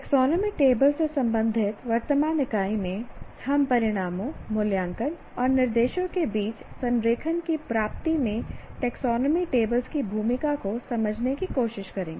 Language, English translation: Hindi, And now in the present unit related to taxonomy table, we try to understand the role of taxonomy tables in attainment of alignment among outcomes, assessment, and instruction